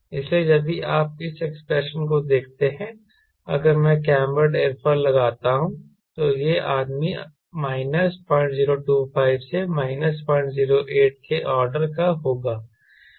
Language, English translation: Hindi, so if you see this expression, if i put the cambered aerofoil, this man will be afforded of minus point zero two, five to minus point zero eight